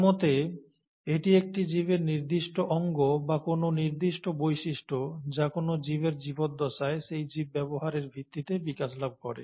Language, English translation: Bengali, According to him, it is the, a particular organ, or a particular feature in an organism develops during the lifetime of that organism based on the usage of that organism